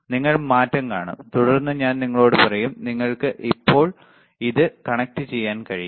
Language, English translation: Malayalam, You will see the change and I will then tell you, what is that you can you can connect it now, right